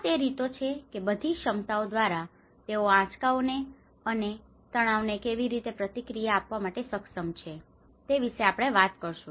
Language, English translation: Gujarati, So these are the ways how the whole capacity we will talk about how they are able to respond to these stresses and shocks